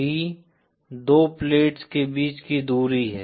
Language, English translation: Hindi, D is the separation between the two plates